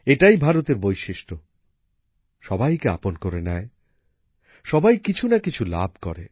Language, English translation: Bengali, This is the specialty of India that she accepts everyone, gives something or the other to everyone